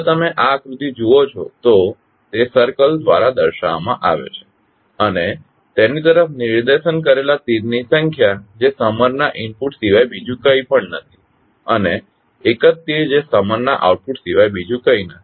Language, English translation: Gujarati, If you see this figure it is represented by a circle and number of arrows directed towards it which are nothing but the input for the summer and one single arrow which is nothing but the output of the summer